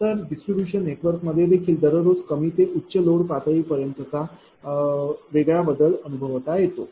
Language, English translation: Marathi, So, distribution network also experience distinct change from a low to high load level everyday, right